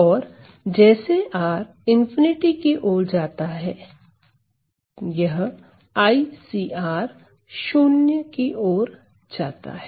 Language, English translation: Hindi, So, as R goes to infinity, this I CR goes to 0